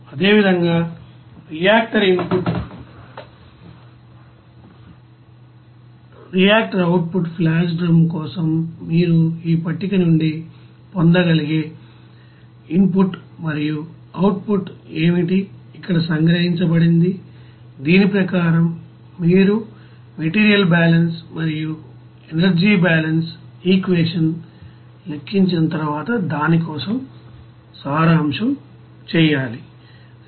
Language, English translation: Telugu, Similarly for reactor input reactor output flash drum that is separator you know what will be the you know input and output there that you can get it from this you know table it is summarized here as per this you have to do the you know summary for that after calculation for material balance and energy balance equation